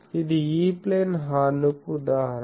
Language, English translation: Telugu, So, this is a example of a E Plane horn